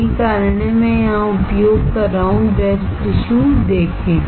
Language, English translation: Hindi, That is why I am using here see breast tissue